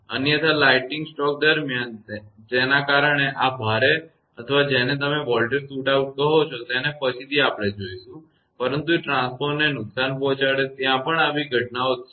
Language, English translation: Gujarati, Otherwise during lightning stroke because of this heavy or what you call voltage shoot out later we will see, but it can damage the transformer there are many such events are there